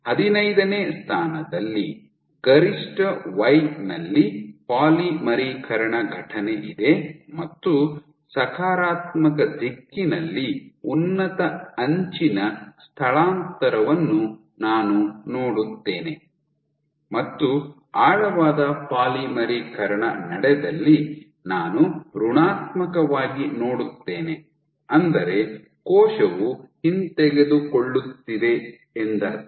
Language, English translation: Kannada, So, in if I want to go with this thing then at position 15, I would see max y there is a polymerization event I would see high displacement high edge displacement in the positive direction and where there has been deep polymerization I would see negative which means that the cell is retracting